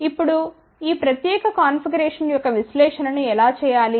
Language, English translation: Telugu, Now, how do we do the analysis of this particular configuration